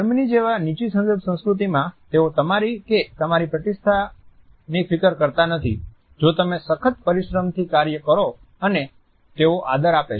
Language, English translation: Gujarati, In a low context culture like Germany they do not care about you and your status, if you work hard and efficiently they respect